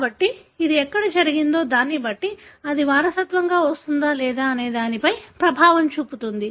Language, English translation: Telugu, So, depending on where it had happened, it affects whether it will be inherited or non inherited